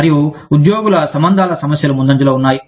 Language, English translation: Telugu, And, the employee relations issues, are coming to the fore front